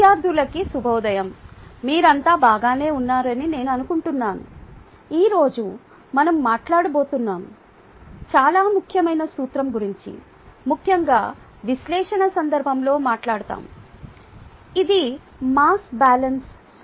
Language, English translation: Telugu, ok, today we are going to talk off a talk about a very, very important principle, especially in the context of analysis, which is the mass balance principle